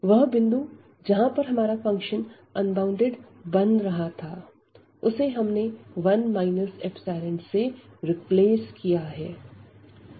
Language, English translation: Hindi, So, the point where the function was becoming unbounded we have replaced by 1 minus epsilon